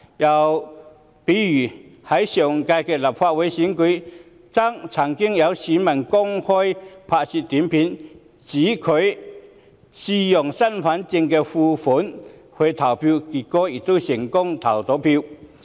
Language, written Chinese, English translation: Cantonese, 又例如在上屆立法會選舉，曾有選民上載短片，聲稱自己嘗試以身份證副本證明身份，結果成功投票。, Another example is that in the previous Legislative Council Election some voters uploaded video clips in which they claimed that they had attempted to prove their identity with a copy of their identity card and successfully cast votes